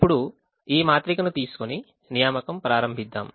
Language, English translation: Telugu, now let us take this matrix and start making the assignments